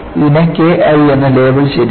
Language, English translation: Malayalam, And, this is labeled as K I